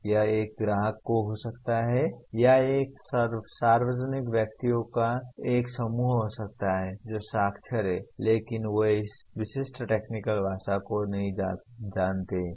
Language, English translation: Hindi, It could be a customer or it could be a group of public persons who are literate alright but they do not know this specific technical language